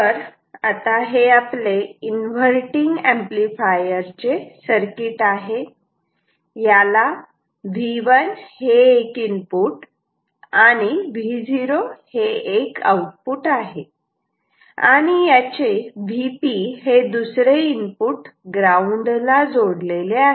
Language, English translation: Marathi, So, this is the circuit for the inverting amplifier it has one input V 1, one output V o, V P is connected to ground